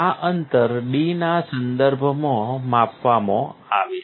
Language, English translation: Gujarati, This distance is measured in terms of D